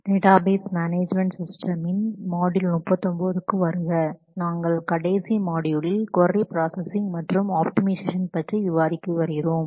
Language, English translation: Tamil, Welcome to module 39 of database management systems, we have been discussing about query processing and optimization, in the last module